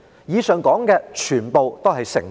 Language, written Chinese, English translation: Cantonese, 以上說的全部都是成本。, All these processes incur costs